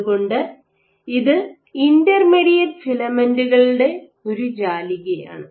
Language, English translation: Malayalam, So, this is a network of intermediate filaments